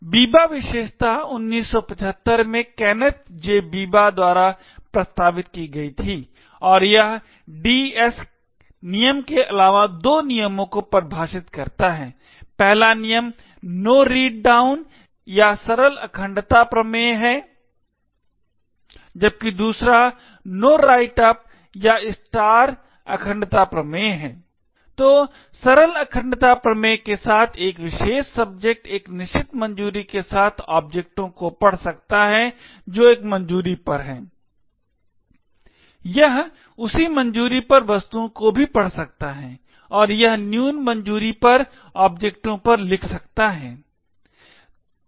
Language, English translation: Hindi, in 1975 and it defines two rules in addition to the DS rule, the first rule is no read down or the simple integrity theorem, while the second rule is no write up or the star integrity theorem, so with the simple integrity theorem a particular subject with a certain clearance could read objects which are at a clearance, it can also read objects at the same clearance and it can right to objects at a lower clearance